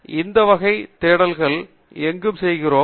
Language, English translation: Tamil, And, where do we do these kinds of searches